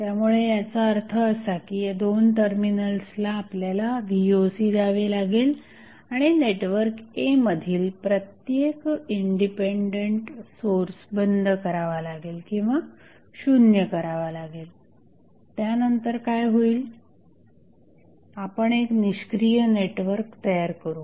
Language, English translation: Marathi, So, that means we will apply Voc across these 2 terminal and turn off or zero out every independent source in the network A then what will happen we will form an inactive network